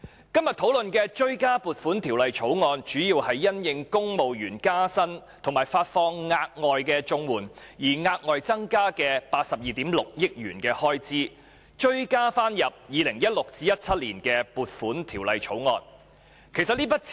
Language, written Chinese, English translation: Cantonese, 今天討論的追加撥款條例草案，主要是政府因應公務員加薪及發放額外綜合社會保障援助而額外增加的82億 6,000 萬元開支，就 2016-2017 年度的撥款條例草案提出追加撥款。, This supplementary appropriation bill under discussion today is tabled by the Government mainly in response to the additional expenditure of 8.26 billion incurred by the civil service pay rise and the provision of one additional month of Comprehensive Social Security Assistance payment and so the Government has to seek supplementary provisions in respect of the appropriation bill for the year 2016 - 2017